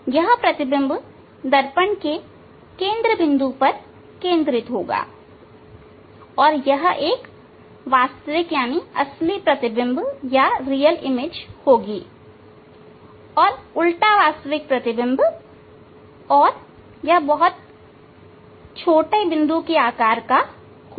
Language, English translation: Hindi, This image position will be at the focus at the focal point of the mirror and it will be real image and inverted real image and inverted and it would be very small size point size this image size will be point size